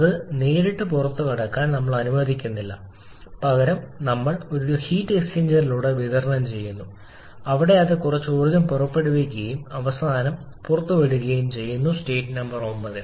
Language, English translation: Malayalam, We are also not allowing to exit directly apply it to heat exchanger where it is releasing some energy and living finally at the state number 9